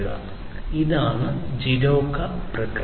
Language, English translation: Malayalam, So, this is this JIDOKA process